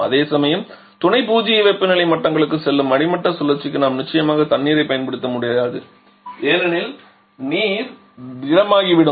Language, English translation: Tamil, Whereas for the bottoming cycle which is going to Sub Zero temperature levels we definitely cannot use water because the water will become solidified